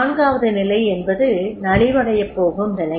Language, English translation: Tamil, And fourth one is that is declining stage